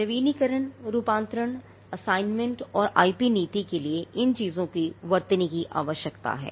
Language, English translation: Hindi, Renewals, conversions, assignments and the IP policy needs to spell these things out